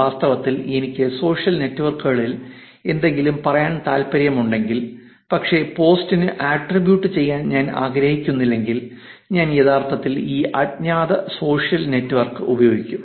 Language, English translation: Malayalam, In fact, if I wanted to say something on social networks, but I do not want to be attributed to the post then I would actually use these anonymous social network